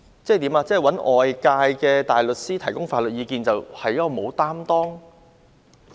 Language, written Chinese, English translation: Cantonese, 難道找外間大律師提供法律意見，就是沒有擔當？, But is seeking outside counsels advice an irresponsible act?